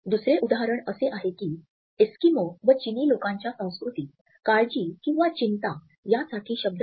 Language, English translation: Marathi, Another example is that Eskimos and the Chinese do not have a word their culture for anxiety